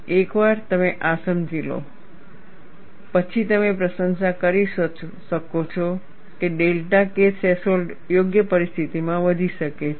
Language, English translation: Gujarati, Once you understand this, then you can appreciate that delta K threshold can increase under suitable conditions